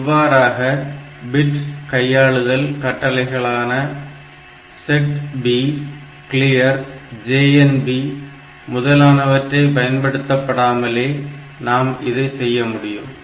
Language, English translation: Tamil, So, this way without using any bit manipulation instruction like a set B clear B J B J N B etcetera